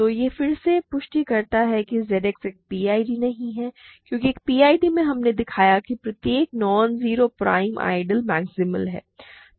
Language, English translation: Hindi, So, this again confirms that Z X is not a PID because in a PID we have shown that every non zero prime ideal is maximal ok